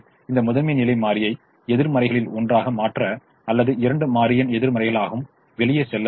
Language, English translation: Tamil, so to make this primal feasible, one of the negatives or both the negatives have to go out